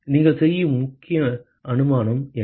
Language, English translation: Tamil, What is the key assumption that you make